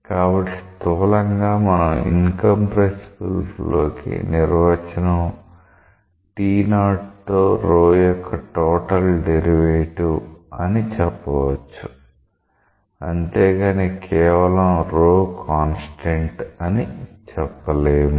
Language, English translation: Telugu, So, in summary we can say that incompressible flow definition is the total derivative of rho with respect to t 0, but not just rho is a constant